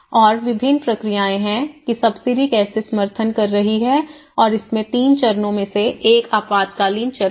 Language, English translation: Hindi, And, there are different processes which went on one is how the subsidies have been supporting and in the 3 phases, one is the emergency phase